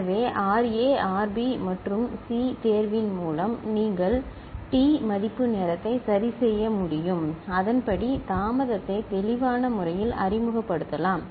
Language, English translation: Tamil, So, with appropriate choice of RA RB and C you can fix the T value time period and accordingly the delay can be introduced clear, right